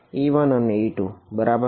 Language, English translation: Gujarati, e 1 and e 2 right